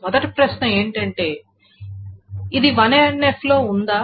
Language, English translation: Telugu, The question then comes, is it in 3NF